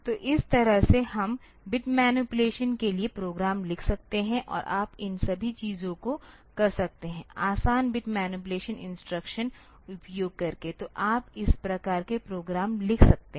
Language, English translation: Hindi, So, this way we can write the program for bit manipulation and you can do all these things, by doing the easy bit manipulation instructions, so you can write this type of programs